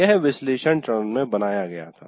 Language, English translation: Hindi, We have created this in the analysis phase